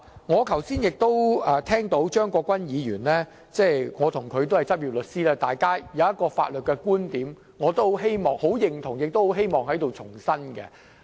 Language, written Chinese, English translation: Cantonese, 我剛才也聽到張國鈞議員的發言，我們兩人均是執業律師，他有一個法律觀點，我也十分認同，亦希望在這裏重申。, I just listened to Mr CHEUNG Kwok - kwans speech . Both of us are a practicing solicitor . He has a legal point of view with which I totally agree and on which I wish to re - emphasize